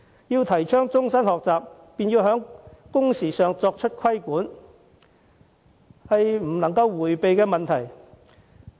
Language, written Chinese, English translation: Cantonese, 要提倡終身學習，必須以規管工時作配合，這是政府不能迴避的問題。, If we want to promote lifelong learning the Government must regulate working hours . This is an issue that the Government cannot evade